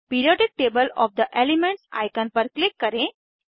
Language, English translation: Hindi, Click on Periodic table of the elements icon